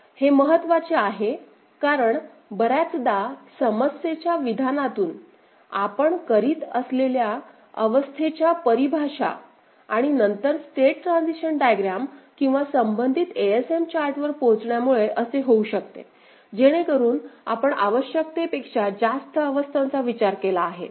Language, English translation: Marathi, This is important because often from the problem statement, the state definitions that we are doing and then arriving at the state transition diagram or the corresponding ASM chart, it could be so that we have actually considered more number of states than necessary